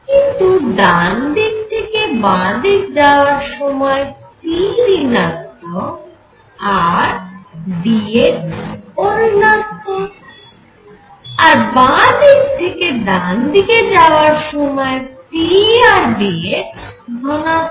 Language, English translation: Bengali, So, that will be the integral now while going from right to left p is negative and d x is also negative while going from right to left p is positive and dx is also positive